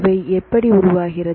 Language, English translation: Tamil, So, how they form